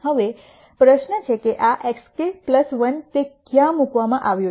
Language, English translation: Gujarati, Now, the question is this x k plus 1 where is it placed